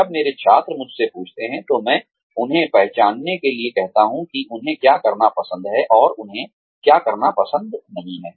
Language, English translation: Hindi, When my students ask me, I tell them to identify, what they like to do, and what they do not like to do